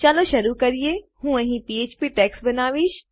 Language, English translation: Gujarati, I am creating my PHP tags here